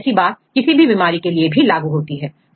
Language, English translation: Hindi, So, this is the case, if for any disease